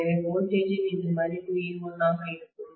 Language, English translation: Tamil, So this value of voltage will be e1